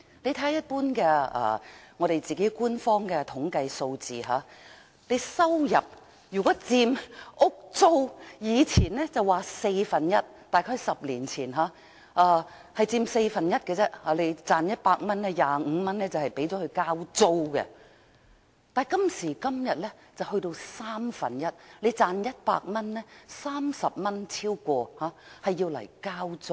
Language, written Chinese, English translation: Cantonese, 看看官方的統計數字，以前說房租佔收入的四分之一，即是在10年前，如果你賺取100元，便有25元用作交租；但今時今日則佔三分之一，如果你賺取100元，便有超過30元用作交租。, If we look at the official statistics we will find that housing rents used to account for a quarter of our income . This means that a decade ago if we earned 100 we spent 25 on rents . But now rents account for one third of our income and we spend more than 30 on rents out of the 100 we earn